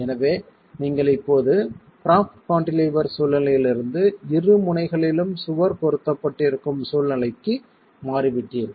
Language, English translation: Tamil, So, you have now moved from a propped cantilever kind of a situation to a situation where the wall is pinned at both the ends